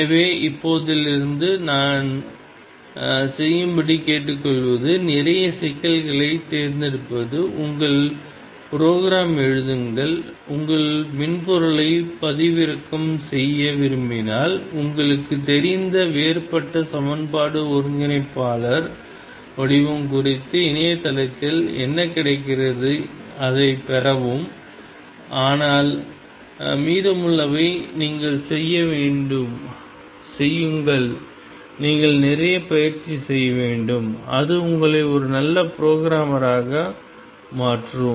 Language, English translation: Tamil, So, what I would urge you to do now from now on is pick up a lot of problems, write your programs you may want to download your software you know the differential equation integrator form whatever is available on the net, but rest you have to do and you have to practice a lot that only makes you a very good programmer